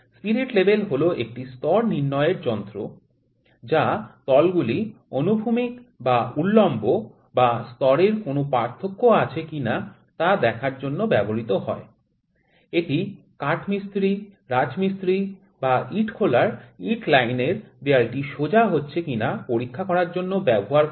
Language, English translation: Bengali, Spirit level is an instrument or it is a simply level or an instrument that is used to see whether the surfaces are horizontal or vertical, or is there any difference in the level or not; it is used by carpenters, masons or the for checking the bricklayer brick line, that is the wall getting straighten or not, we can you might have seen that